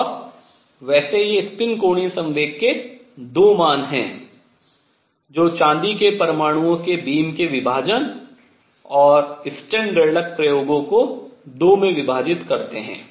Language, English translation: Hindi, And by the way this 2 values of spin angular momentum are what gave rise to the split of the beam of silver atoms and Stern Gerlach experiments into 2